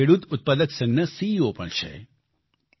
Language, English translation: Gujarati, He is also the CEO of a farmer producer organization